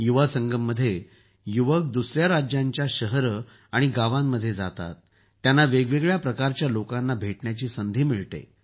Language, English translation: Marathi, In 'Yuvasangam' youth visit cities and villages of other states, they get an opportunity to meet different types of people